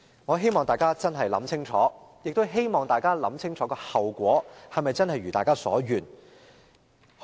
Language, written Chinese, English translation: Cantonese, 我希望大家認真想清楚，亦希望大家想清楚後果是否真的會如大家所願。, I hope Members will think clearly and also consider carefully whether the outcome would really be like what Members wish for